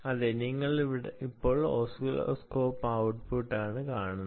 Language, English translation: Malayalam, yes, you see now the oscilloscope output